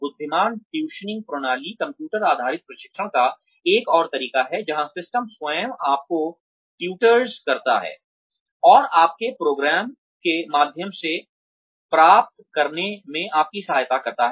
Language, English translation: Hindi, intelligent tutoring system is, another method of computer based training, where the system itself, tutors you, and helps you get through, your program